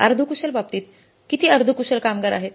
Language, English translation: Marathi, In case of the semi skilled, how many semi skilled workers are there